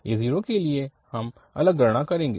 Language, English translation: Hindi, So, this a1 we can calculate separately